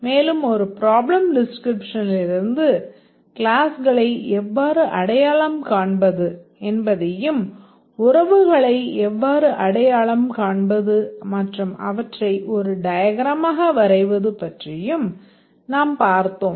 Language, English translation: Tamil, And also we looked at how to identify the classes from a problem description and also to identify relations and to represent them in a diagram